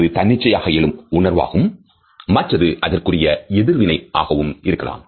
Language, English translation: Tamil, One may be voluntary and the other may be involuntary emotional response